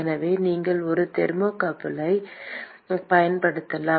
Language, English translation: Tamil, So you could use a thermocouple